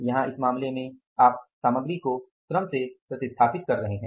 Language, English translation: Hindi, Here in this case you are replacing the material with the labor